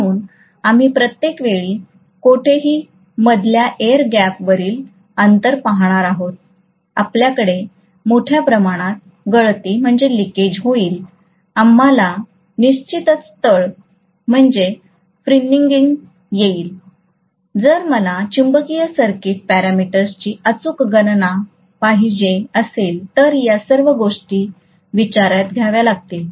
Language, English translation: Marathi, So we are going to have every time there is an intervening air gap anywhere, we will have huge amount of leakage, we will have definitely fringing, all these things have to be taken into consideration if I want an accurate calculation of the magnetic circuit parameters, right